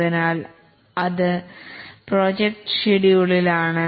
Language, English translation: Malayalam, So that is project scheduling